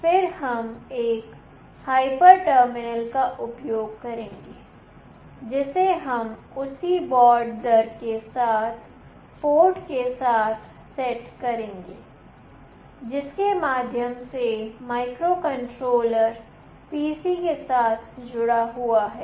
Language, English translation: Hindi, Then we will use one hyper terminal, which we will set with the same baud rate with the port through which the microcontroller is connected with the PC